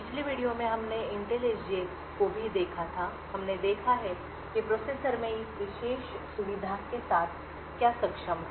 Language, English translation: Hindi, In the previous video we had also looked at the Intel SGX we have seen what was capable with this particular feature in the processor